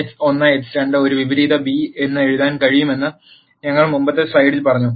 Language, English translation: Malayalam, Now we said in the previous slide that x 1 x 2 can be written as A inverse b